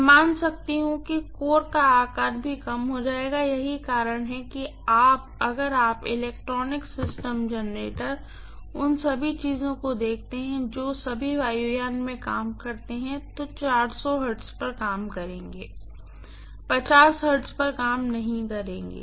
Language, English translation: Hindi, I can assume that the core size will also decrease, that is one reason why if you look at the electronic systems, generators, all those things in aircrafts, they will all be operating at 400 hertz generally, they will not be operating at 50 hertz